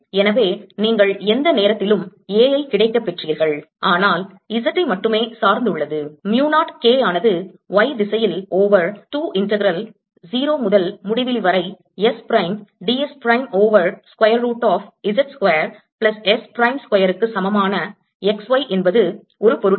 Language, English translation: Tamil, with this i get two and therefore the expression becomes mu naught k y over two integral zero to infinity s prime d s prime over s prime square plus z square square root, and this is very easy to calculate